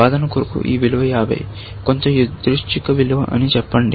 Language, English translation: Telugu, Let us, for argument sake, say that this value is 50, some random value, essentially